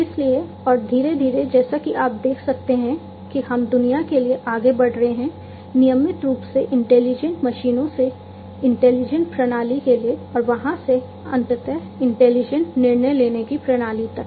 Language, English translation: Hindi, So, and gradually as you can see over here we are moving to the world from regular intelligent machines to intelligent systems to ultimately intelligent decision making systems